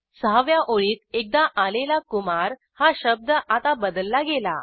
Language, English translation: Marathi, Sixth line had one occurrence of the word Kumar and this is replaced now